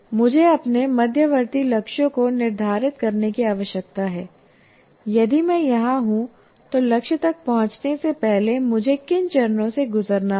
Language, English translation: Hindi, So I need to set up my intermediate goals if I am here what are this series of steps that I need to go through before I can finally reach the target